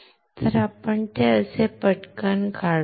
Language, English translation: Marathi, So, let us draw it quickly like this